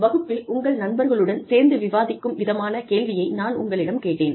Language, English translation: Tamil, I gave you a question that, you could discuss in class, with your friends